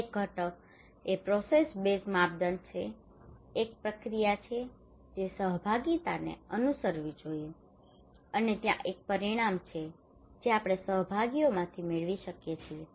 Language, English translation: Gujarati, One component is the processed base criteria that there is a process that a participation should follow and there is an outcome that we can get from participations